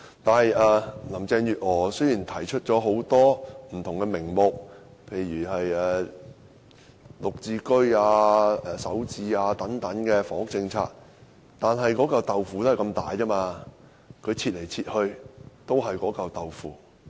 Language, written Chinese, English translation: Cantonese, 雖然林鄭月娥提出了名目不同的房屋政策，例如"綠置居"、"首置"單位等，但"豆腐"只有這麼大，她切來切去仍是那塊"豆腐"。, Despite the various housing initiatives rolled out by Carrie LAM such as the Green Form Subsidised Home Ownership Scheme and Starter Homes a cake will not become bigger no matter how she cuts it